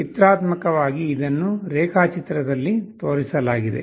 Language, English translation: Kannada, Pictorially it is shown in the diagram